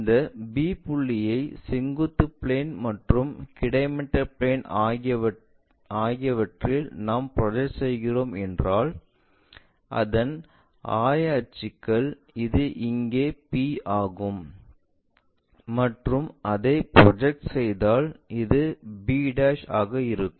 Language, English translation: Tamil, If we are projecting the coordinates for this P point onto our vertical plane and horizontal plane the coordinates will be this one which is P here and if I am projecting this will be p'